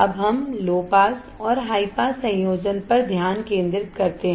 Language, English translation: Hindi, Now, let us focus on low pass and high pass combination